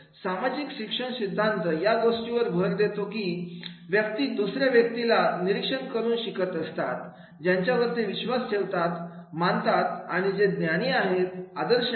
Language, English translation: Marathi, Social learning theory emphasized that people learn by observing other person models whom they believe are credible and knowledgeable, role models